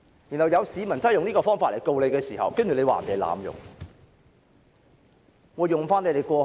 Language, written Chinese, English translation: Cantonese, 如果有市民真的用這個方法去控告她時，又會被指是濫用制度。, If there is really a citizen who sues her in this way he or she will also be accused of abusing the system